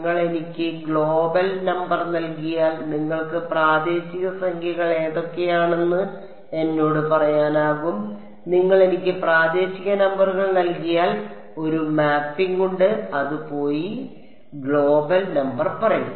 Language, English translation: Malayalam, If you give me the global number you should be able to go and tell me what are the local numbers similarly if you give me the local numbers there is a mapping that will go and tell you the global number